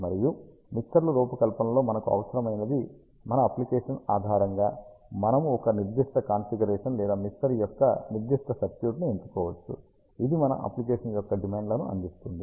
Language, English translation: Telugu, And based on our application what we require in the mixer design, we can select a particular configuration or particular circuit of a mixer which, caters the demands of our application